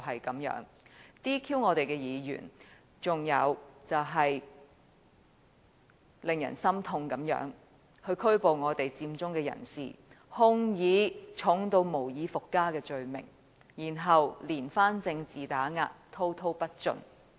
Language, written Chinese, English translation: Cantonese, 他 "DQ" 我們的議員，還有令人心痛的就是拘捕佔中人士，控以嚴重得無以復加的罪名，然後連番政治打壓，滔滔不盡。, He has sought disqualification of Members of the Legislative Council . Furthermore it is heart - rending that some occupiers have been arrested and charged with the most serious offences to be followed by relentless political suppression